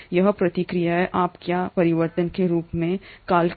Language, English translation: Hindi, This process is what you call as transformation